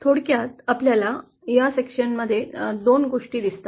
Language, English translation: Marathi, In summary we see 2 things from this module